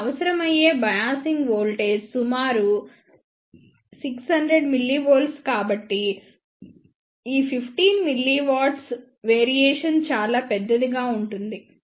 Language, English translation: Telugu, Now, the biasing voltage that is required is around 600 millivolt so this 15 milliwatt variation will be relatively huge